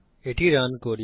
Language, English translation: Bengali, Lets run this